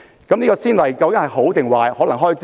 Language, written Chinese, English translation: Cantonese, 這個先例究竟是好是壞呢？, Is this a good or a bad precedent?